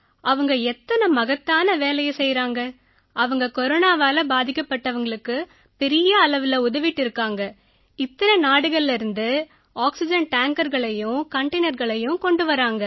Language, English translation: Tamil, Feel very proud that he is doing all this important work, helping so many people suffering from corona and bringing oxygen tankers and containers from so many countries